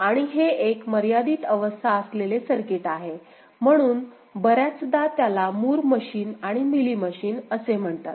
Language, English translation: Marathi, And this is a finite state circuit or finite state machine, so often it is called Moore machine and Mealy machine ok